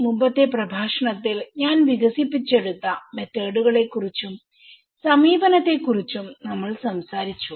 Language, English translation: Malayalam, In the previous lecture, we talked about the method and approach which I have developed